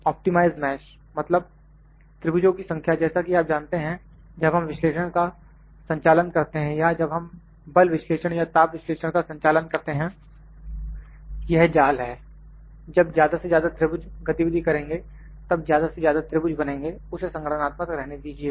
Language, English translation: Hindi, Optimize mesh means, the number of triangles you know when we conduct the analysis or when we to conduct the strength analysis or heat analysis this is the mesh, the number of triangles makes when more the number of triangles are moved be the computational part